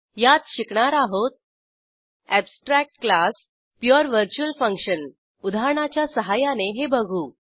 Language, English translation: Marathi, In this tutorial we will learn, *Abstract Classes *Pure virtual function *We will do this through an example